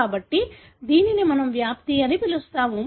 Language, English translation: Telugu, So, this is what we call as penetrance